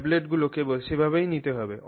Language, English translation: Bengali, So, those tablets have to be taken only in that manner